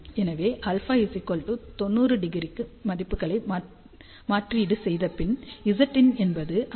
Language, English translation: Tamil, So, for alpha equal to 90 degree, you substitute the values Z in comes out to be 52